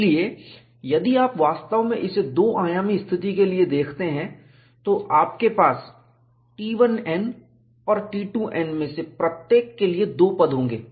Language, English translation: Hindi, So, if you really look at this, for a two dimensional situation, you will have 2 terms for each one of T 1 n and T 2 n; either you could put it as T 1 n or T X n and T Y n